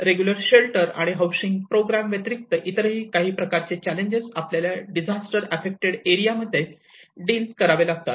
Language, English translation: Marathi, So these are some of the challenges apart from our regular shelter and housing programs which we deal with normally in the disaster affected areas